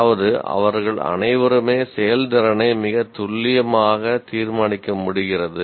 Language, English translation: Tamil, That means all of them are able to judge the performance very, very accurately